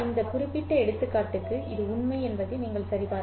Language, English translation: Tamil, You can check that this is true for this particular example